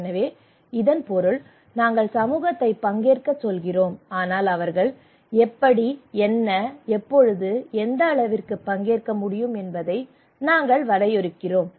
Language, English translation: Tamil, So it means that we are asking community to participate, but we are defining that how and what, when and what extent they can participate